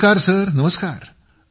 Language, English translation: Marathi, Namaste Sir Namaste